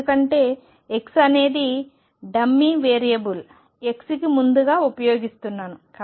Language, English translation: Telugu, Because x prime is a dummy variable x I am using earliest